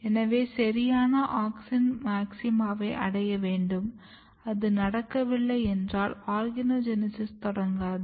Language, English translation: Tamil, So, proper auxin maxima has to be achieved where it should be achieved if that is not happening then organogenesis will not start